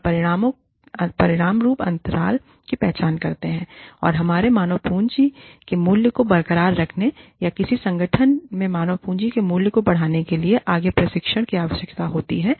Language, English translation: Hindi, And, as a result, identify the gaps, and needs, for further training, in order to keep our, the value of our human capital intact, or increase the value of the human capital, in an organization